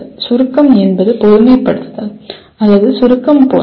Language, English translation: Tamil, Summarization is more like generalization or abstracting